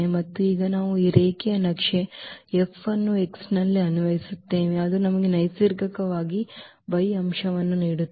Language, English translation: Kannada, And now we apply this linear map F on x which will give us the element y naturally